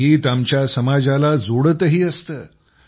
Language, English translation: Marathi, Music also connects our society